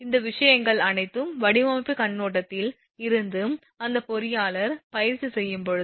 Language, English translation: Tamil, All these things from the design point of view from the design point of view for when that practising engineer